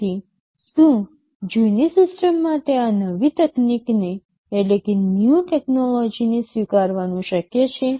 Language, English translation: Gujarati, So, is it possible for the older system to adapt to this new technology